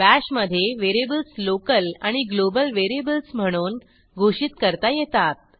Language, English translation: Marathi, In Bash, variables can be declared as local variables and global variables